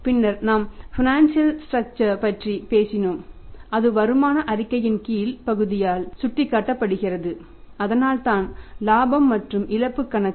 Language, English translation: Tamil, And then we talked about the financial structure which is indicated to us by the lower part of the income statement that is why the profit and loss account